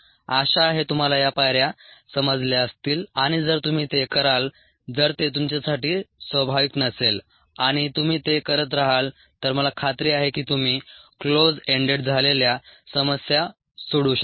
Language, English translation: Marathi, hopefully you ah, understood this steps and ah, if you be acted, if its not natural to you, and if you be acted, i am sure you will be able to solve closed ended problems